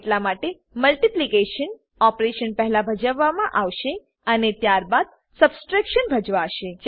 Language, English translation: Gujarati, So the multiplication opertion is performed first and then subtraction is performed